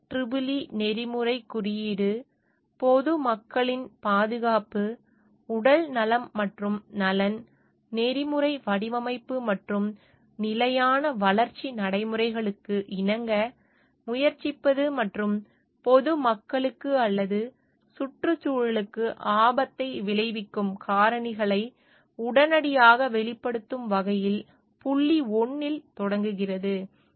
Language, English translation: Tamil, The IEEE code of ethics begins with point 1 as to hold paramount the safety, health, and welfare of the public, to strive to comply with ethical design and sustainable development practices, and to disclose promptly factors that might endanger the public or the environment